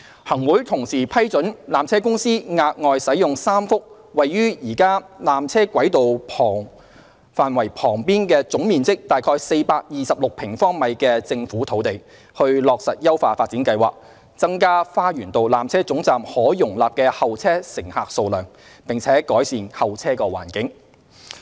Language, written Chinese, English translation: Cantonese, 行會同時批准纜車公司額外使用3幅位於現有纜車軌道範圍旁總面積約426平方米的政府土地，以落實優化發展計劃，增加花園道纜車總站可容納的候車乘客數量，並改善候車環境。, The Chief Executive in Council has also approved granting PTC the use of three additional pieces of Government land with an area of about 426 sq m adjacent to the existing tramway area for implementing the part of the upgrading plan aiming to increase the holding capacity of the Lower Terminus and improve the waiting environment for passengers